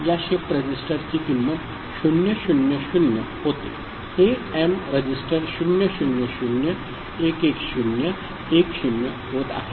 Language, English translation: Marathi, The value of this shift register becomes 000 this m register becomes 00011010 ok